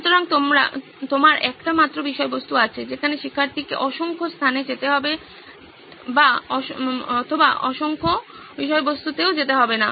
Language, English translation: Bengali, So you have just one single content wherein the student does not have to go to n number of places or go through n number of content